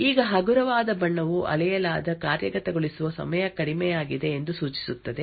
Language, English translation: Kannada, Now a lighter color would indicate that the execution time measured was low